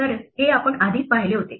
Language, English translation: Marathi, So, this we had already seen